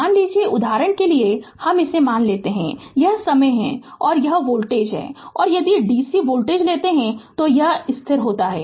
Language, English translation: Hindi, Suppose, this is time right and this is voltage and if you take a dc voltage, it is a constant